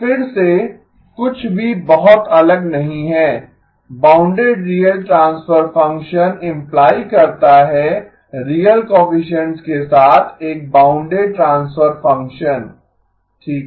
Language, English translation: Hindi, So again nothing very different, bounded real transfer function implies a bounded transfer function with real coefficients okay